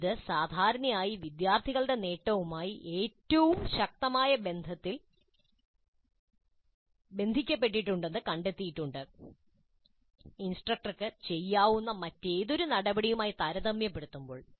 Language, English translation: Malayalam, And it is also found to be generally correlated most strongly to student achievement compared to any other action that the instructor can take